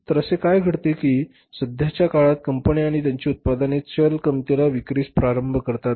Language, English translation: Marathi, So, what happens that for the time being, firms start selling their products in the market at the variable cost